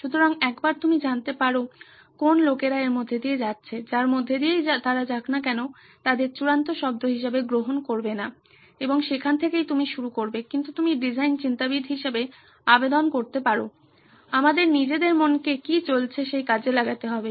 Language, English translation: Bengali, So once you get to know the people who are going through, whatever they are going through, don’t take them as the ultimate word and that’s where you start but you can apply as design thinkers, we need to apply our own mind on what is going on